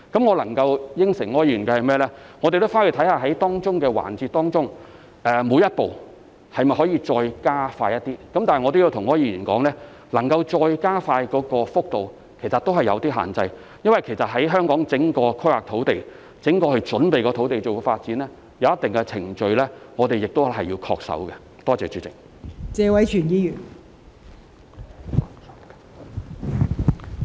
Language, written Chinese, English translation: Cantonese, 我能答應柯議員的是，我們會回去看看各個環節中的每一步能否再加快一點，但我亦要跟柯議員說，其實能夠再加快的幅度有限，因為在香港推行土地規劃、準備土地發展的項目時，我們必須恪守一定的程序。, What I can promise Mr OR is that we will upon going back to our office explore the possibility of further speeding up to some extent each step in every aspect . That said I must also tell Mr OR that the room for further speeding up the work is in fact somewhat limited since we must adhere to certain procedures in the course of implementing land planning and preparing for land development projects in Hong Kong